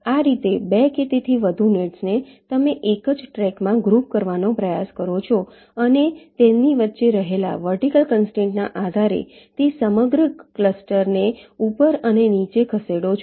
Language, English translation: Gujarati, in this way, two or more nets, you try to group them in the same track and move that entire cluster up and down, depending on the vertical constraint that exist between them